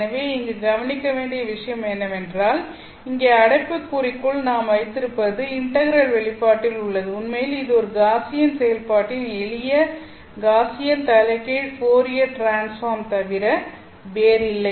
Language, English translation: Tamil, So, the point to note here is that what we have in the bracket here or rather in the expression for the integral is actually nothing but simple Gaussian inverse Fourier transform of a Gaussian function